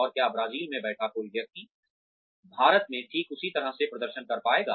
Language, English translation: Hindi, And, will a person sitting in Brazil, be able to perform, in the exact same manner in India